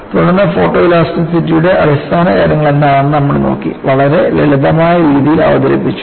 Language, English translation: Malayalam, Then, we moved on to look at what is the basics of photoelasticity; it is very simple fashion